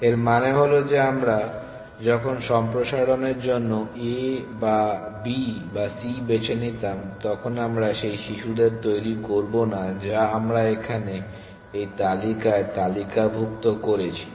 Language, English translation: Bengali, This means that when we in turn were to pick a or b or c for expansion we would not generate those children which we have listed in this list here